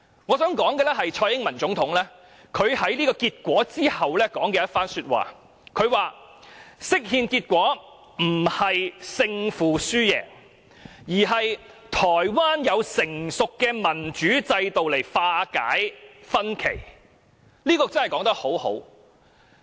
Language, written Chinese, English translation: Cantonese, 我想說蔡英文總統在結果公布後所說的一番話，她說釋憲結果不是勝負輸贏，而是台灣有成熟的民主機制來化解歧見。, I wish to quote what President TSAI Ing - wen said after the announcement of the ruling . She said that the ruling on the interpretation of the constitution was not a matter of winning or losing but a test of the maturity of the Taiwanese democracy to address dissenting views